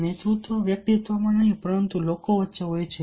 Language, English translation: Gujarati, leadership is not in a person but between people